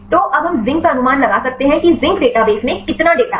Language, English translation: Hindi, So, now we can predict predict the Zinc how many data in the Zinc database